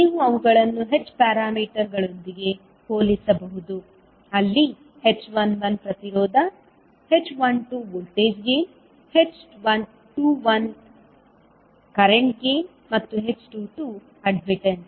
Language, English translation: Kannada, So you can correlate with, you can compare them with the h parameters where h11 was impedance, h12 was voltage gain, h21 was current gain